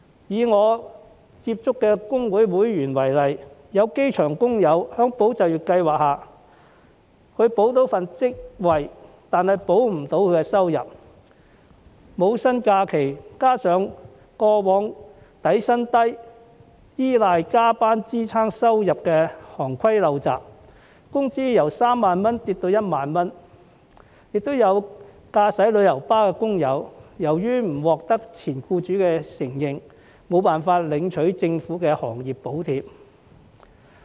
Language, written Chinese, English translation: Cantonese, 以我接觸的工會會員為例，有機場工友在"保就業"計劃下，可保住職位，卻保不住收入，因為要放取無薪假期，加上過往因底薪低而要依賴加班支撐收入的行規陋習，其工資由3萬元下跌至1萬元；亦有駕駛旅遊巴的工友，由於不獲前僱主承認，無法領取政府的行業補貼。, Some airport workers can keep their jobs but not their income under ESS because they have to take unpaid leave coupled with the undesirable past trade practice of relying on overtime work to support income due to low basic salaries . Their wages have thus dropped from 30,000 to 10,000 . There are also coach drivers who cannot receive the Governments subsidies for the industry because they are not recognized by their former employers